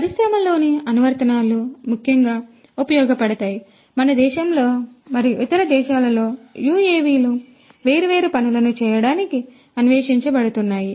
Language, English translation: Telugu, Applications in the industries are particularly useful; in our country and different other countries UAVs are being explored to do number of different things